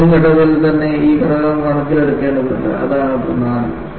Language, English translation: Malayalam, This aspect needs to be taken into account at that design phase itself; that is what is important